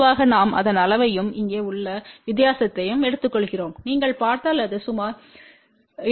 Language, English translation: Tamil, Generally we take a magnitude of that and the difference over here if you see it is just about 2